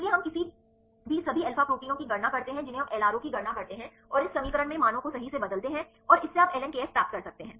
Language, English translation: Hindi, So, we calculate for any all alpha proteins we calculate LRO and substitute the values in this equation right and this you can get the ln kf